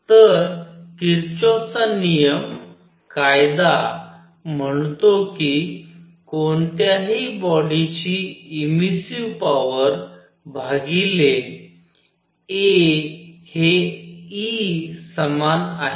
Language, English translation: Marathi, So, Kirchhoff’s rule; law says that emissive power of any body divided by a is equal to E